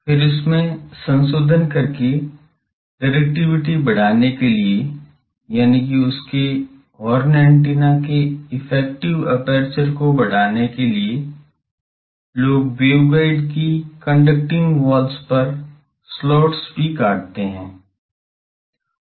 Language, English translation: Hindi, Then and modification of that to increase the directivity; that means, to increase the effective aperture his horn antenna, then people also cut slots on the conducting walls of waveguides, those are slot antennas